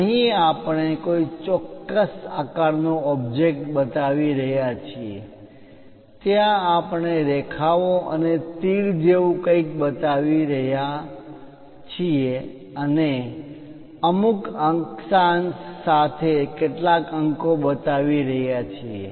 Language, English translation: Gujarati, Here we are showing an object of particular shape, there we are showing something like lines and arrow and some numerals with certain decimals